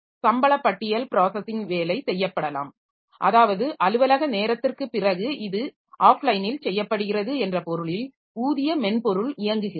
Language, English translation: Tamil, So, payroll processing job so that is maybe the way it is done offline in the sense that it is done after the office hours